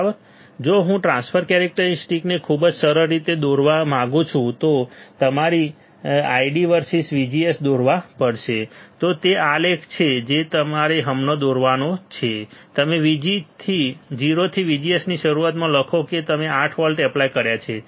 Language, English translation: Gujarati, If I want to draw the transfer characteristics very easy you have to draw I D versus, VGS I D versus VGS that is the plot that you have to draw right now you write down early of VGS from 0 to how much you applied 8 volts you applied